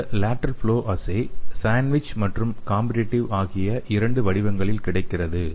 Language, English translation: Tamil, And this lateral flow assay is available in two formats sandwich and competitive